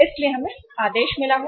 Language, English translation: Hindi, So we have received the order